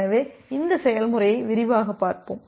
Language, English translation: Tamil, So, let us look into this process in details